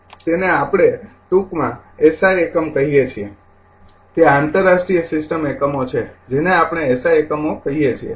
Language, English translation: Gujarati, That is we call in short SI unit right, it is a international system units we call SI units right